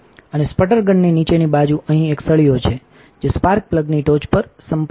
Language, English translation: Gujarati, And the underside of the sputter gun has a rod in here that contacts the top of the spark plug